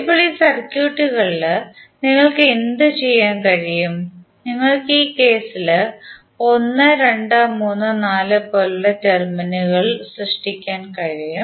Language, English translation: Malayalam, So now, in all these circuits, what you can do, you can create the terminals like 1, 2, 3, 4 in this case